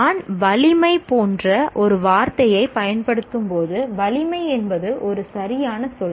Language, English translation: Tamil, When I use a word like force, force is a word, right